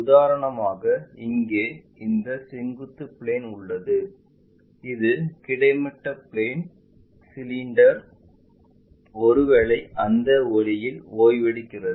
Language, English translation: Tamil, For example, here we have this vertical plane and this is the horizontal plane and our cylinder perhaps resting in that way